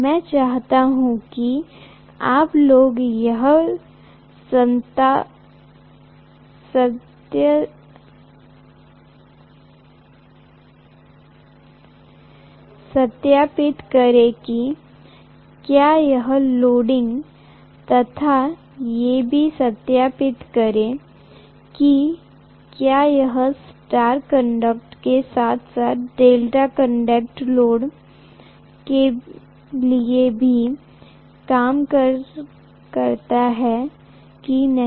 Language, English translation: Hindi, And I also want you guys to verify whether it will work for star connected as well as delta connected load